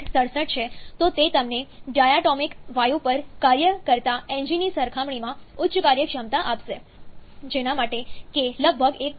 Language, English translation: Gujarati, 67 then, it is going to give you higher efficiency compared to an engine working on a diatomic gas for which k is about 1